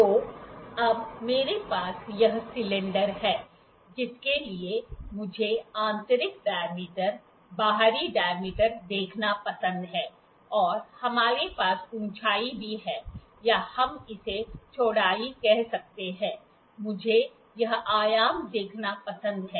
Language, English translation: Hindi, So, now I have this cylinder, for which I like to see the internal dia, the external dia and also we have the height or what we can call it width, I like to see this dimensions